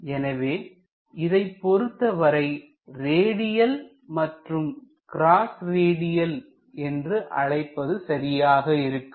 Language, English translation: Tamil, So, this is fundamentally called as radial and cross radial direction